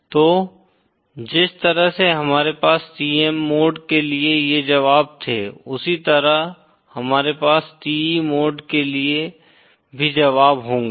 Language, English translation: Hindi, So in the same way that we had these solutions for the TM mode, we will also have a solution for the TE mode